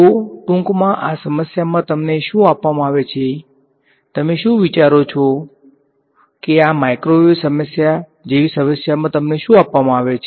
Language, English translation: Gujarati, So, in short in this problem what is given to you, what all do you think is given to you in a problem like this microwave problem